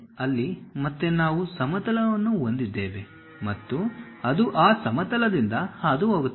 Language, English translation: Kannada, There again we have a plane which is passing through that